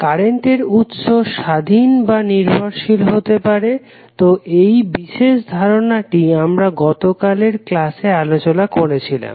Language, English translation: Bengali, Current source may be the independent or dependent, so that particular aspect we discussed in yesterday’s class